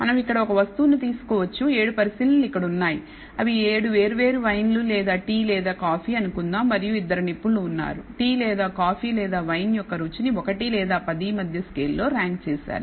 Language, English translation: Telugu, We can take a item here there are about 7 observations let us say 7 different wines or tea or coffee and there are two experts who ranked the taste of the tea or coffee or wine on a scale between 1 to 10